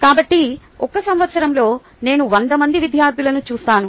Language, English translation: Telugu, so in a year i come across hundred students